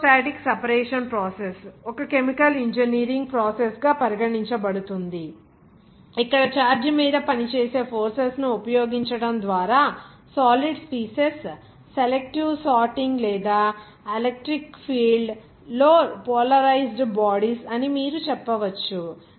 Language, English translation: Telugu, Electrostatic separation process also regarded as a chemical engineering process where selective sorting of solid species by means of utilizing forces acting on charged or you can say that polarized bodies in an electric field